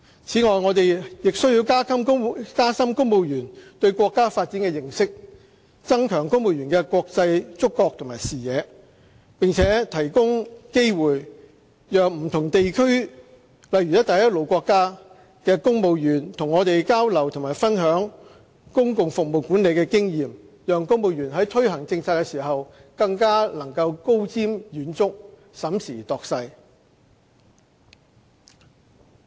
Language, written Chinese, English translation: Cantonese, 此外，我們亦須加深公務員對國家發展的認識，增強公務員的國際觸覺和視野，並提供機會讓不同地區，例如"一帶一路"國家的公務員與我們交流及分享公共服務管理的經驗，讓公務員在推行政策時更能高瞻遠矚，審時度勢。, Furthermore we should deepen civil servants understanding of our countrys development enhance their awareness and vision of international affairs promote exchanges with civil servants in other places such as Belt and Road countries through which knowledge experience and insights gained from local public service management could be shared so that our civil servants could be more visionary and could make the correct judgment in the promotion of polices